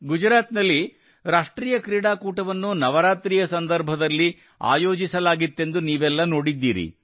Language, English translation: Kannada, You have seen that in Gujarat the National Games were held during Navratri